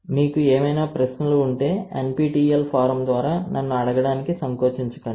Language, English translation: Telugu, If you have any questions again feel free to ask me through the NPTEL forum, right